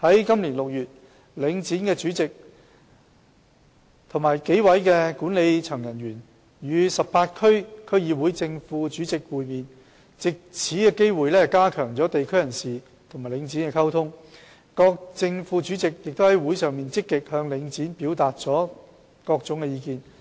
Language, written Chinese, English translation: Cantonese, 今年6月，領展的主席及幾位管理層人員與18區區議會的正副主席會面，藉此機會加強地區人士與領展的溝通，各正副主席於會上亦積極向領展表達各種意見。, In June this year the Chairman and a number of members of the management of Link REIT met with the Chairmen and Vice Chairmen of 18 DCs and took this opportunity to enhance the communication between locals and Link REIT . The Chairmen and Vice Chairmen made proactive efforts to express their views on various aspects to Link REIT